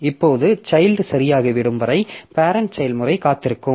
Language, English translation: Tamil, Now the parent process may wait for the child to be over